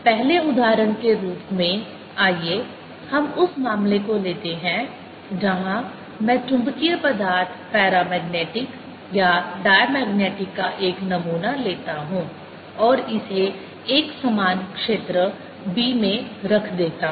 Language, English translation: Hindi, as the first example, let us take the case where i take a sample of magnetic material, paramagnetic or diamagnetic, and put it in a uniform field b